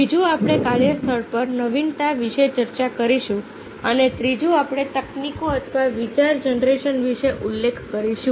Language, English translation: Gujarati, second will be discussing about the innovation at work place and third, we will mention about the techniques or idea generation